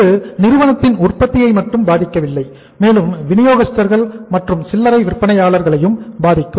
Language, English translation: Tamil, It is not only impacting the firm the manufacture but even the distribution channels also, the retailers also